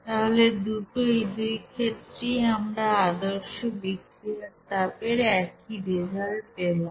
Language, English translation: Bengali, So both are, in both cases we are we are having the same results for standard heat of reaction